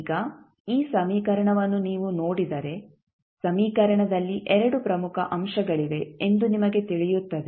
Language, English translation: Kannada, Now, if you see this particular equation you will come to know there are 2 important components in the equation